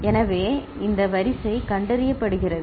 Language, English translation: Tamil, So, that is this sequence is detected